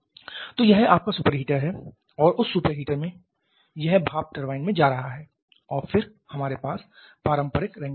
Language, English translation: Hindi, So, this is your super heater and from that super heater it is going to a steam turbine and then we have the conventional Rankine cycle